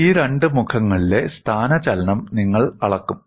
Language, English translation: Malayalam, You would measure the displacement in these two faces